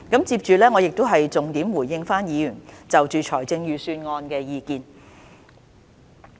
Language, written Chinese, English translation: Cantonese, 接着，我會重點回應議員就財政預算案的意見。, Now I will give a consolidated response to Members comments on the Budget